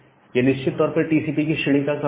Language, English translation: Hindi, So, it is necessarily a TCP kind of socket